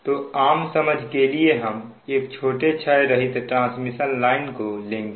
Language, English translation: Hindi, so for the purpose of basic understanding we will consider a short lossless transmission line